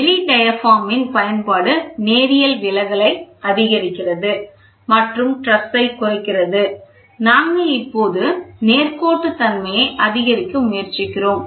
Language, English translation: Tamil, Use of corrugated diaphragm increases the linear deflection and reduces the stresses, ok, we are now trying to play or increase the linearity